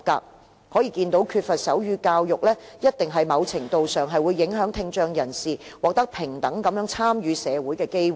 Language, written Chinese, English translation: Cantonese, 由此可見，缺乏手語教育在某程度上，肯定會影響聽障人士獲得參與社會的平等機會。, It is thus evident that to a certain extent deaf people who lack sign language education are less likely to be given an equal opportunity to participate in society